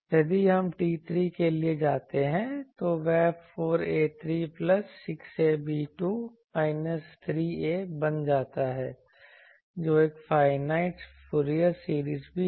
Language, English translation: Hindi, If we go for T 3, then that becomes 4 a cube plus 6 a b square minus 3 a which is also a finite Fourier series